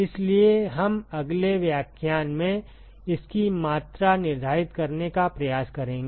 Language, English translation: Hindi, So, we will try to quantify that in the next lecture